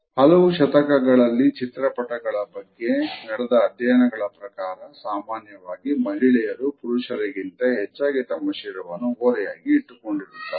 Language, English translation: Kannada, A studies of paintings, over the last several centuries show that women are often depicted more using the head tilt in comparing to men